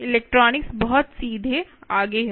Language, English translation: Hindi, the electronics is pretty straight forward